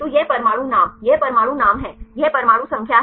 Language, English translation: Hindi, So, this atom name, this is the atom name this is the atom number